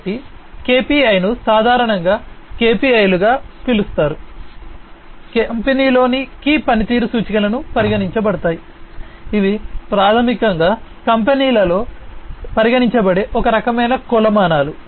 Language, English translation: Telugu, So, KPI is commonly known as KPIs key performance indicators are considered in the companies these are basically some kind of a metrics that are considered in the company